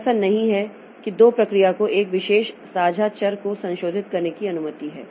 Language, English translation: Hindi, So, it is not that two processes they are allowed to modify one particular shared variable